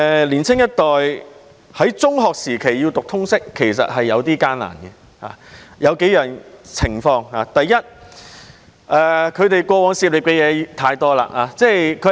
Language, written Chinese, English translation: Cantonese, 年青一代要在中學時期修讀通識是頗為艱難的，因為要涉獵的範圍太廣泛。, The study of LS is rather difficult for the younger generation at secondary level because the scope of study is too broad